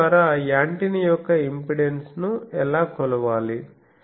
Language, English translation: Telugu, So, by the you will find antenna impedance